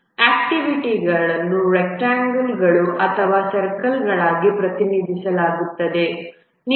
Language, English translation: Kannada, The activities are represented as rectangles or circles